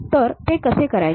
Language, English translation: Marathi, How to do that